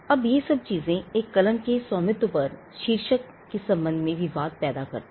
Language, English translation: Hindi, Now all these things are disputes with regard to title on the ownership of a pen